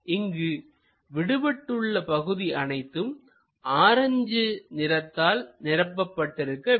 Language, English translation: Tamil, There is a missing portion this entirely filled by orange color